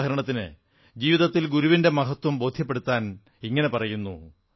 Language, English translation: Malayalam, For example, in order to illustrate the significance of the Guru in one's life, it has been said